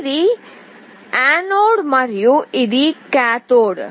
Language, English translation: Telugu, This is the anode and this is the cathode